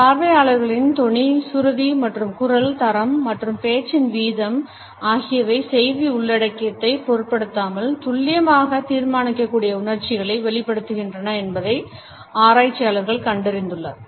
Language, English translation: Tamil, Researchers have found that the tone pitch and quality of voice as well as the rate of speech conveys emotions that can be accurately judged regardless of the content of the message